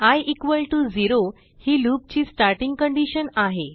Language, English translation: Marathi, i =0 is the starting condition for the loop